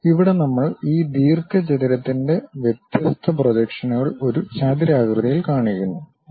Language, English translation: Malayalam, Here we are showing different projections of this rectangle by a rectangular (Refer Time: 25:51)